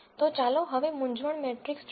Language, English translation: Gujarati, So, now let us look at the confusion matrix